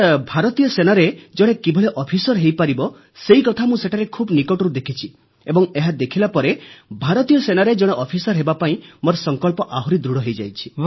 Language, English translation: Odia, Sir, there I witnessed from close quarters how officers are inducted into the Indian Army … and after that my resolve to become an officer in the Indian Army has become even firmer